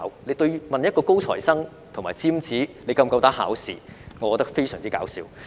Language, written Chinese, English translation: Cantonese, 有人問一個高材生或尖子是否夠膽考試，我覺得非常"搞笑"。, I find it very funny to ask a top student whether he dares to take exams